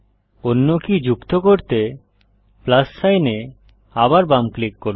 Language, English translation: Bengali, Left click the plus sign again to add another key